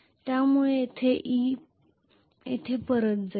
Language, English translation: Marathi, So this is going to be e so this will go back to e here essentially